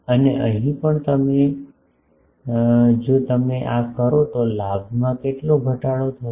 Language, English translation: Gujarati, And, here also if you do this how much reduction the gain will suffer